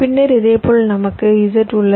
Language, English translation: Tamil, then similarly, we have z, again with two